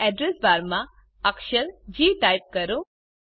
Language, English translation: Gujarati, Now, in the Address bar, type the letter G